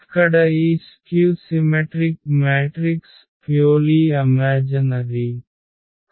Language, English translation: Telugu, So, here this real a skew symmetric matrix are purely imaginary